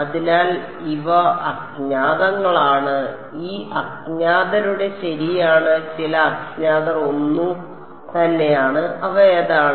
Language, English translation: Malayalam, So, these are unknowns right of these unknowns some the unknown are the same which are they